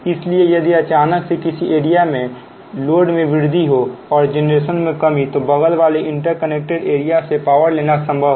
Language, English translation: Hindi, now, if there is a sudden increase in load or loss of generation in one area, it is possible to borrow power from adjoining interconnected area